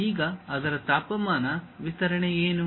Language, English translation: Kannada, Now what might be the temperature distribution of that